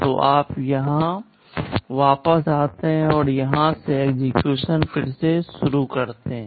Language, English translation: Hindi, So, you return back here and resume execution from here